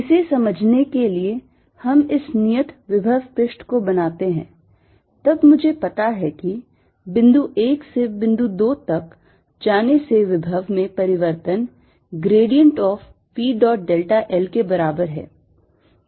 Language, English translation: Hindi, then i know from going from point one to point two, the change in the potential is equal to grad of v dot delta l